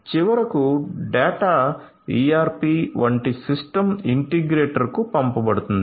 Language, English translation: Telugu, And finally, the data will be sent may be to a system integrator like ERP right